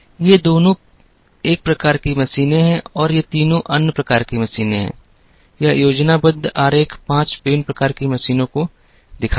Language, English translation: Hindi, These two are one type of machines and these three are another type of machines, this schematic diagram shows five different types of machines